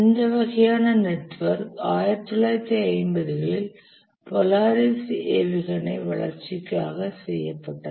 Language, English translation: Tamil, This kind of network, as we said, was done for development of the Polaris missile 1950s